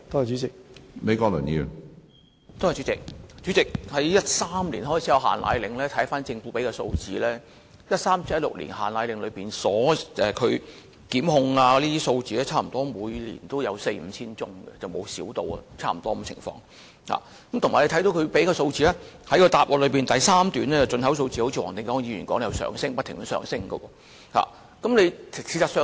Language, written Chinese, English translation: Cantonese, 主席，根據政府提供的數字，從2013年實施"限奶令"至2016年期間，因違反《規例》而被檢控的個案，每年均有四五千宗，未見大幅減少，而從主體答覆第二部分所列舉的配方粉進口貨量可見，一如黃定光議員所說，配方粉的需求量仍不斷上升。, President according to the statistics provided by the Government between 2013 when the restriction on powdered formula was first implemented and 2016 each year the average number of prosecution cases for contravention of the Regulation remained between 4 000 to 5 000 and there has not been any significant reduction . From the volumes of import of powdered formula shown in part 2 of the main reply and as mentioned by Mr WONG Ting - kwong the demand for powdered formula has continued to rise